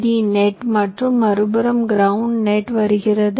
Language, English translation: Tamil, from other side now comes the ground net